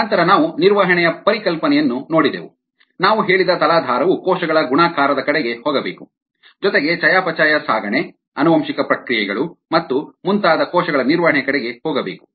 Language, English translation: Kannada, then we looked at the concept of maintenance, the substrate we said needs to go towards cell multiplication as well as towards cell maintenance of metabolism, transport, genetic processes and so on